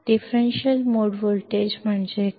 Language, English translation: Kannada, What is differential mode voltage